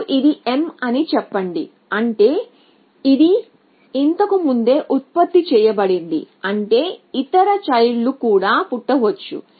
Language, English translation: Telugu, So, let us say now this is m, which means it was already generated before which means it could have other children